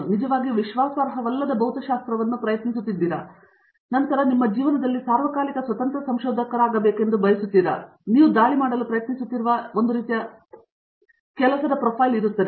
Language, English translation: Kannada, Are you trying to actually unreliable physics, then you probably want to be an independent researcher all the time in your life and that is one kind of job profile that you will try to attack